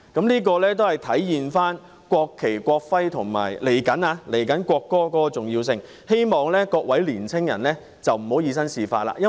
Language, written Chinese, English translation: Cantonese, 這體現了《國旗及國徽條例》及即將落實的國歌條例的重要性，希望各位年輕人不要以身試法。, This has reflected the importance of the National Flag and National Emblem Ordinance NFNEO and the soon - to - be - implemented National Anthem Ordinance . I hope young people will refrain from acting in defiance of the law